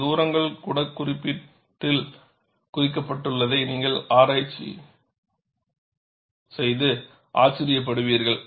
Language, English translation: Tamil, You will be surprised; even these distances are noted in the code